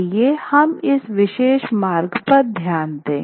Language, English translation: Hindi, Now, let us pay attention to this particular passage